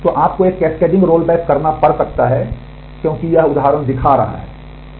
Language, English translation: Hindi, So, you may have to do a cascading roll back as this example is showing